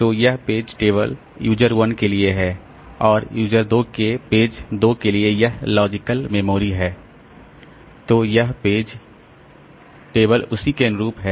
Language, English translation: Hindi, So, this is the corresponding page table for user 1 and this is the logical memory for page 2, for user 2 then this is the corresponding page table